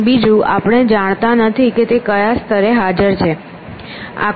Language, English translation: Gujarati, And secondly, we do not know where it exists at what level it exists